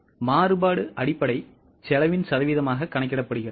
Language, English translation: Tamil, Now the variance is calculated as a percentage of the basic cost